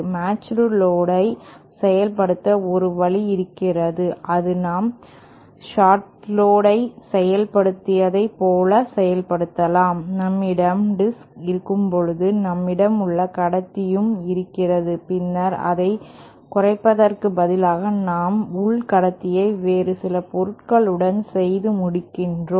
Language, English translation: Tamil, A matched load, one way to implement is similar way to the shorted load that we saw, when we have a disk, we have our inner conductor and then instead of shortening it, we end our inner conductor with some other material